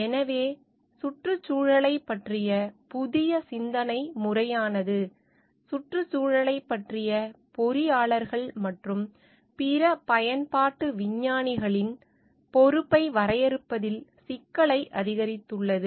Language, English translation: Tamil, So, the new way of thinking about the environment have increased like with the complexity of the defining the responsibility of the engineers and other applied scientist towards the environment